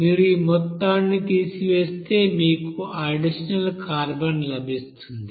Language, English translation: Telugu, If you subtract this amount then you will get that carbon in excess